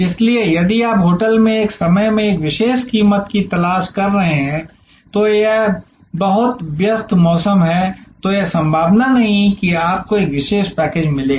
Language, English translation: Hindi, So, if you are looking for a special price at a time on the hotel is very busy peek season, then it is a not likely that you will get a special package